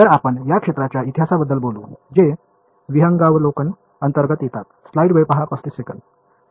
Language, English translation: Marathi, So, we will talk about the history of this field which comes under the overview right